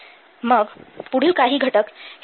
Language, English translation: Marathi, Then some other next content is the risks